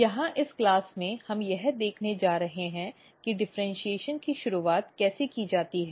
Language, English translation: Hindi, Here in this class we are going to see how the differentiations are initiated